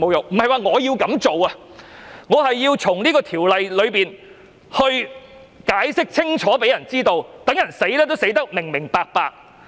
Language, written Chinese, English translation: Cantonese, 不是說我要這樣做，而是希望《條例草案》解釋清楚，讓人死也死得明明白白。, I am not saying that I will do these things . Instead I hope the Bill can offer a clear explanation so that people will know why they are caught by the law